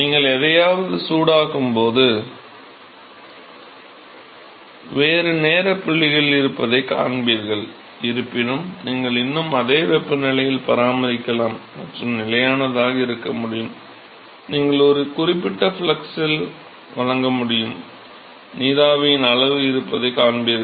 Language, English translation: Tamil, Where when you heat something you will always see that a different time points although you can still maintain at a same temperature and you can maintain constant you can you can provide heat at a certain flux, you will see that the amount of vapor which is being formed is actually varying, right, as you supply heat to this container